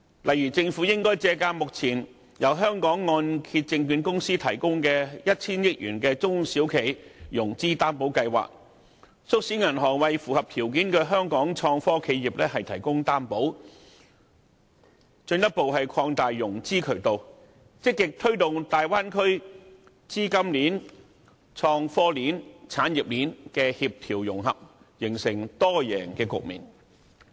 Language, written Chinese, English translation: Cantonese, 例如，政府可借鑒由香港按揭證券有限公司提供的 1,000 億元中小企融資擔保計劃，促使銀行為符合條件的香港創科企業提供擔保，進一步擴大融資渠道，積極推動大灣區資金鏈、創科鏈和產業鏈協調融合，形成多贏局面。, For instance the Government may borrow the experience of the SME Financing Guarantee Scheme to call on banks to act as guarantors for innovation and technology enterprises that meet the criteria with a view to further expanding the financing channels and proactively promoting the integration of capital innovation and technology and industrial chains to create a win - win situation